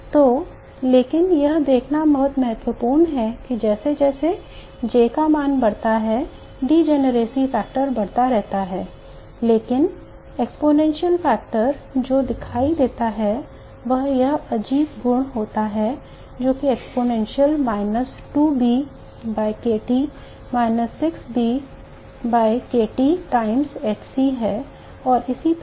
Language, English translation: Hindi, So but what is important to see is that as the J value increases the degeneracy factor keeps on increasing but the exponential factor that you see has this strange property that exponential minus 2b by KT minus 6 b by KT times HC and so on